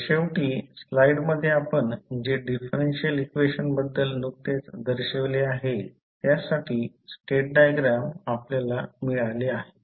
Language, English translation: Marathi, So, finally you get the state diagram for the differential equation which we just shown in the slide